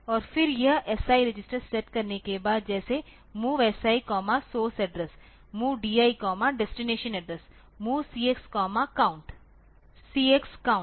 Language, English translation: Hindi, And then after setting this SI register like MOV SI comma that source address MOV DI comma destination address and MOV CX comma count CX count